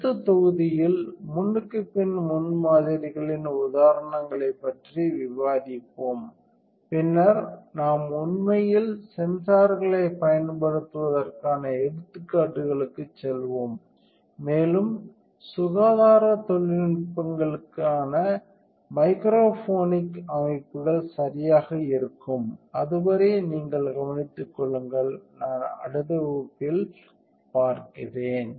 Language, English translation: Tamil, So, let us discuss the examples of front to back in a next module and then we will actually move to the examples of using sensors, and micro phonic systems for healthcare technologies right, till then you take care I will see the next class bye